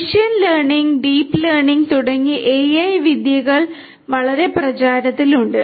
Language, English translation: Malayalam, AI techniques such as machine learning, deep learning etc